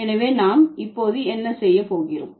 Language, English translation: Tamil, So, what I am going to now